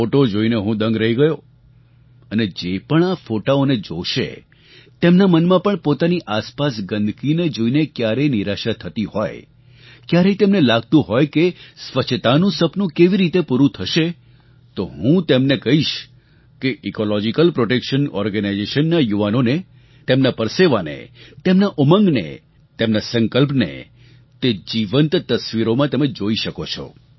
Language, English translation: Gujarati, I was overwhelmed on seeing these and whoever will see these photographs, no matter how upset he is on witnessing the filth around him, and wondering how the mission of cleanliness will be fulfilled then I have to tell such people that you can see for yourself the toil, resolve and determination of the members of the Ecological Protection Organization, in these living pictures